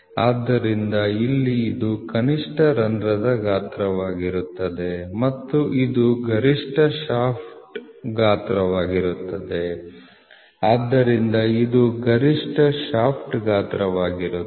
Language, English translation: Kannada, So, here it will be minimum hole size and this will be maximum shaft size, so this will be maximum shaft size, ok